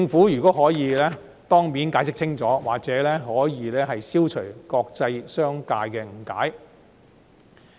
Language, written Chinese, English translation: Cantonese, 如果可以，政府應該當面解釋清楚，或許可以消除國際商界的誤解。, If possible the Government should give the international business community a clear explanation face to face so as to possibly dispel their misunderstandings